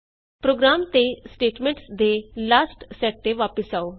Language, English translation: Punjabi, Coming back to the program and the last set of statements